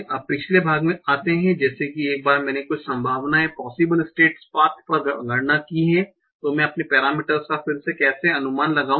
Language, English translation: Hindi, Now coming to the last part, that is, once I have computed some probabilities over my possible state paths, how do I estimate my parameters again